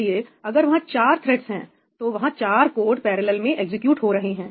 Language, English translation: Hindi, So, if there are four threads there are four codes executing in parallel